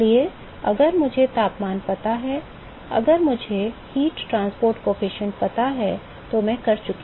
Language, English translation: Hindi, So, if I know the temperatures, if I know the heat transport coefficient I am done